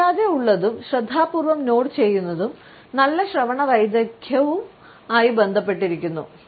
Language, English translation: Malayalam, A polite and attentive nod is also related with good listening skills